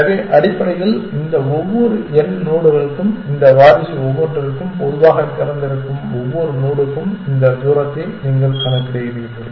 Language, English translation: Tamil, So, essentially you compute this distance for each of these n nodes each of this successor and in general for every node in open